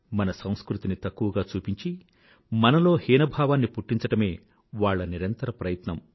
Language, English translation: Telugu, Constant efforts to belittle our culture and make us feel inferior were on